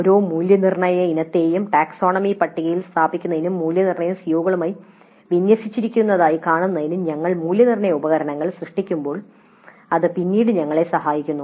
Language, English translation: Malayalam, This helps us later when we create assessment instruments to place each assessment item also in the taxonomy table and see that the assessment is aligned to the COs